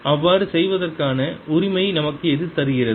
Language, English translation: Tamil, what gives us the right to do so